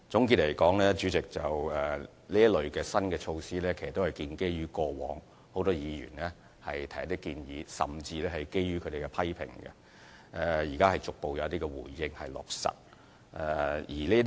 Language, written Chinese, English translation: Cantonese, 代理主席，總的來說，這類新措施都是建基於很多議員以往提出的建議，甚至是他們的批評，現在得以逐步落實。, All in all Deputy President these new initiatives are based on the proposals put forward by many Honourable Members in the past even including their criticisms and are now put into implementation progressively